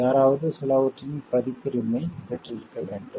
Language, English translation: Tamil, Somebody must be having a copyright of something